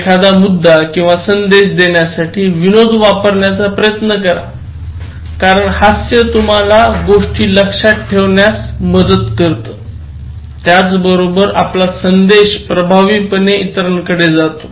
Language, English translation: Marathi, Also try to use humour, in order to make a point, in order to give a message because humour, if you think about the situation that you have come across, humour makes you remember things easily and humour can convey a message effectively